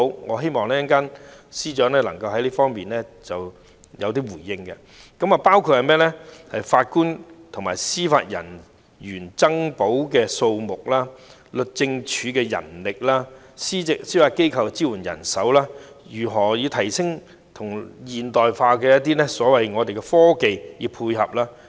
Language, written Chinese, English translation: Cantonese, 我希望稍後司長能夠對以下方面作出回應：法官及司法人員增補的數目、律政司的人力、司法機構的支援人手、如何以現代科技配合司法系統。, I hope the Chief Secretary will later respond to the following points the number of additional JJOs the manpower of the Department of Justice the support staff of the Judiciary and how to use modern technology to support the judicial system